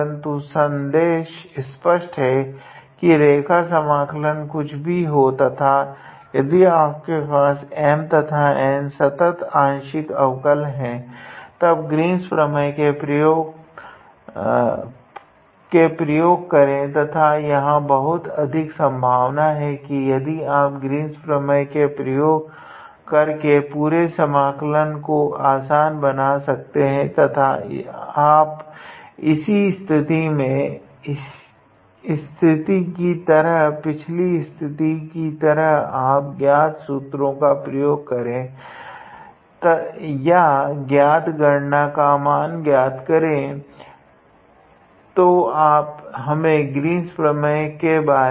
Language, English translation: Hindi, But, yeah the message is that whenever you have a complicated line integral given to you and if your M and N seems to be having continuous partial derivatives then try to use Green’s theorem and there is a strong possibility if you use the Green’s theorem then the whole integral will reduce to a very simpler one and you just like in this case or in the previous case you just do some simple known formula or known calculation to obtain the value